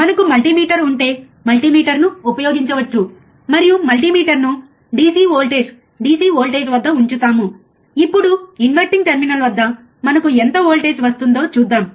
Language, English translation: Telugu, We can use the multimeter and we keep the multimeter at the DC voltage, DC voltage, now let us see what voltage we get at the inverting terminal